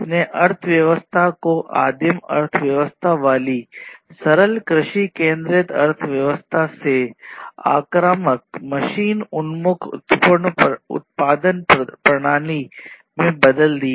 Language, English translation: Hindi, And this basically shifted the economy from the primitive economy with simple agrarian centric economies to more aggressive machine oriented production systems and so on